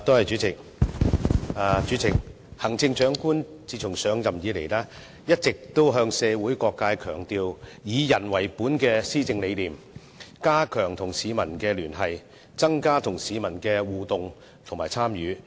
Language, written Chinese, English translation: Cantonese, 主席，行政長官自上任以來，一直向社會各界標榜以人為本的施政理念，加強與市民的聯繫，增加與市民的互動及強調市民的參與。, President after the Chief Executive has taken office she has all along been advocating to all sectors of the community her people - oriented philosophy of governance strengthening communication with the public enhancing interaction with the people and emphasizing the importance of public engagement